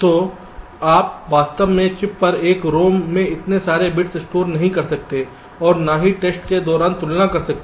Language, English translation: Hindi, so you really cannot store so many bits () in rom on chip and compare during testing, right